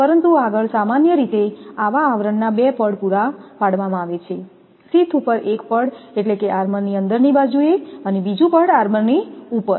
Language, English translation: Gujarati, But, next is the generally, 2 layers of such coverings are provided, one layer over the sheath and there on the inner side of armour and the second layer over the armour